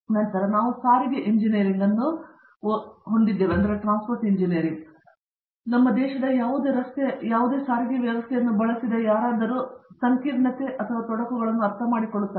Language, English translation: Kannada, Then we have Transportation engineering, which I am sure anybody who has used any road or any system of transportation in our country understands the intricacy and the complications